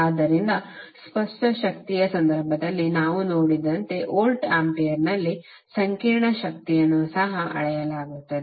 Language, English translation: Kannada, So the apparent power, complex power is also measured in the voltampere as we saw in case of apparent power